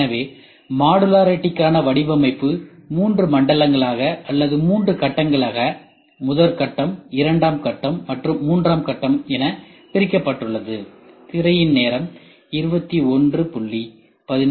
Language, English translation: Tamil, So, the design for modularity is divided into three zones or three phases phase I phase II and phase III